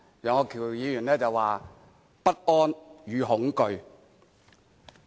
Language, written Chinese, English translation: Cantonese, 楊岳橋議員說"不安與恐懼"。, Mr Alvin YEUNG talked of uneasiness and fear